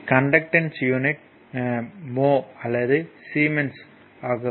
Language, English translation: Tamil, So, the unit of conductance is mho or siemens